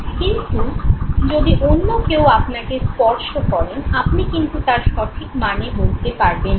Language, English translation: Bengali, Whereas if somebody else touches you you are not able to provide the correct meaning to it